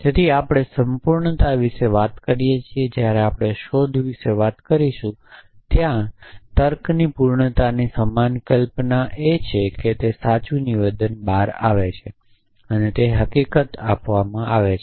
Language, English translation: Gujarati, So, we talk about completeness when we have talking about search there is a similar notion of completeness in logic is that given the fact that there true statement out